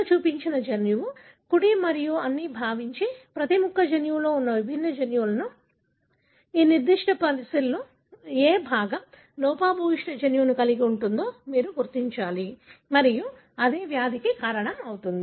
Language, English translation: Telugu, So, assuming that what is shown here is the genome, right and all the, each one of the piece are the different genes that the genome has, you need to identify which piece of this particular puzzle could possibly be carrying the gene that is defective and causing the disease So, how do you go about doing it